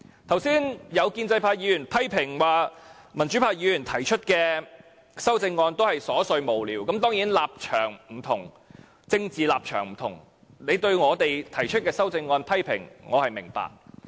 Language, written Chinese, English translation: Cantonese, 剛才有建制派議員批評指，民主派議員提出的修正案都是瑣碎無聊，當然，大家政治立場不同，你對我們提出的修正案作出批評，我是明白的。, Just now some pro - establishment Members criticized that the amendments proposed by democratic Members were frivolous . I can certainly understand their criticisms against our amendments due to our different political stands